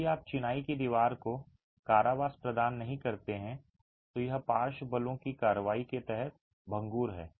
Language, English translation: Hindi, If you don't provide confinement to the masonry wall it is brittle under the action of lateral forces